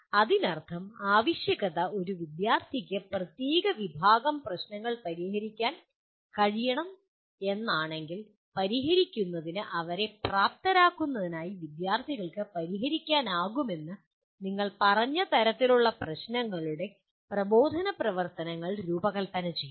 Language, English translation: Malayalam, That means if the requirement is student should be able to solve a certain category of problems, instructional activities should be designed to facilitate the students to solve the kind of problems you have stated that they should be able to solve